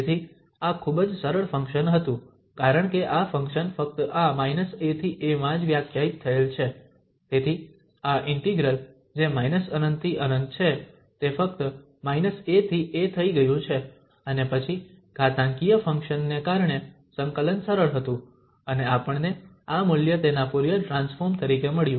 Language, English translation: Gujarati, So, this was a very simple function because this function is defined only in this minus a to a, so this integral which is from minus infinity to infinity has become just from minus a to a and then because of the exponential function the integration was easier and we got this value as its Fourier transform